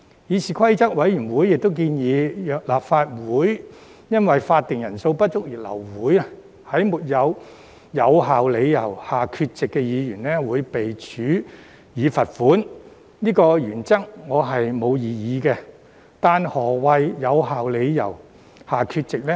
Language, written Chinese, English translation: Cantonese, 議事規則委員會亦建議，若立法會因法定人數不足而流會，在沒有有效理由下缺席的議員會被處以罰款，對於這項原則，我沒有異議，但何謂在"有效理由"下缺席呢？, The Committee on Rules of Procedure has also proposed that if the Council is adjourned due to the lack of a quorum Members absent without a valid reason should be fined . I do not have any objection to this principle . However what is meant by being absent without a valid reason?